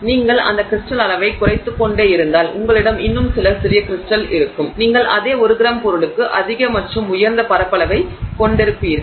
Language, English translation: Tamil, If you keep reducing that crystal size and therefore you will have many, many more small crystals, you will have, you know, higher and higher surface area for the same one gram of that material, right